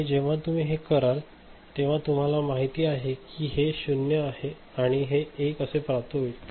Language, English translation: Marathi, And when you do it, these are the you know, these 0s and 1s that is that you are getting